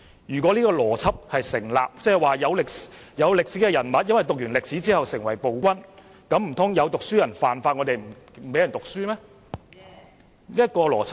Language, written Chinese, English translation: Cantonese, 如果這邏輯成立，即有歷史人物因為讀過歷史而成為暴君，那麼難道有讀書人犯了法，我們便不讓人讀書嗎？, If this logic stands that is historical figures became tyrants because they studied history should we not allow people to receive education when some educated people committed crimes?